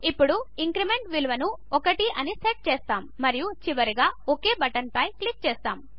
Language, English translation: Telugu, Now we set the Increment value as 1 and finally click on the OK button